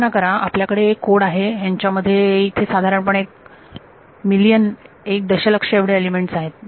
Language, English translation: Marathi, Imagine you have a code where there are 1 million elements